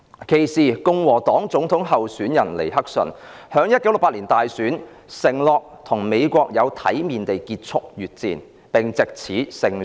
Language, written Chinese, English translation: Cantonese, 其時，共和黨總統候選人尼克遜在1968年大選時承諾有體面地結束越戰，並藉此勝出大選。, At that time Richard NIXON a Republican President - elect pledged in the 1968 election that he would gracefully end the war . As a result he won in the election